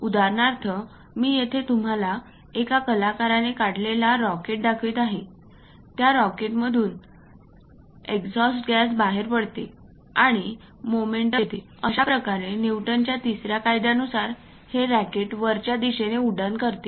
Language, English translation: Marathi, For example, here I am showing you a rocket which is drawn by an artist there will be exhaust gas coming out of that rocket, and thus giving momentum because of Newton's 3rd law, the rocket flies in the upward direction